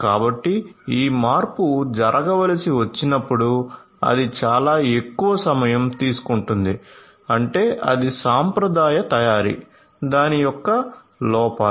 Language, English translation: Telugu, So, whenever this changeover will have to happen it is to take much longer and so on, that is the traditional manufacturing the drawbacks of it